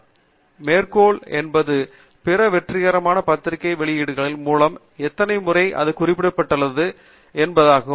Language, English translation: Tamil, And, citation is basically how many times it has been referred by other successful journal publications